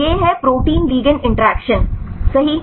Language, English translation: Hindi, So, this is protein ligand interactions right